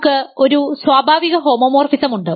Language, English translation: Malayalam, So, far we have a ring homomorphism